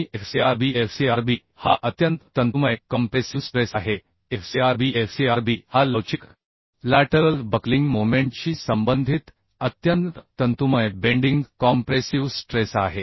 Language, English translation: Marathi, 3 and Fcrb Fcrb is the extreme fiber bending compressive stress Fcr b Fcr b is a extreme fiber bending compressive stress corresponding to elastic lateral buckling moment And this Fcr b can be expressed as like this 1